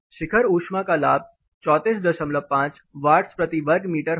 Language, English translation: Hindi, The peak heat gain will be 34 and half you know watts per meter square